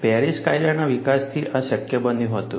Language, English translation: Gujarati, This was made possible, with the development of Paris law